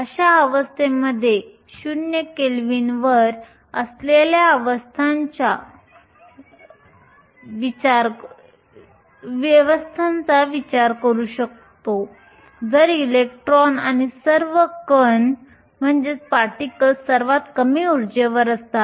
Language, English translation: Marathi, Consider a system that is at 0 kelvin in such a system all the electrons or all the particles are at the lowest energy